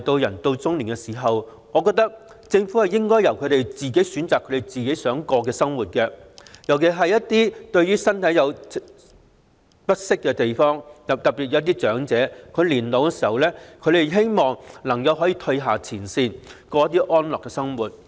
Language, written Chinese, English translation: Cantonese, 人到老年，我認為政府應該讓他們選擇自己想過的生活，尤其是一些身體不適的長者，他們在年老時希望能夠從前線退下，過安樂的生活。, I think the Government should allow them to choose the kind of life they want for their autumn years . In particular those elderly persons who are out of shape hope to step down from the front line for a peaceful and secure life in their later years